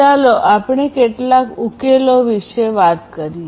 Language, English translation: Gujarati, So, let us talk about some of the solutions